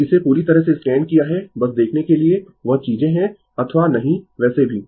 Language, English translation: Hindi, So, I have totally scanned it for you just just to see that things are ok or not right anyway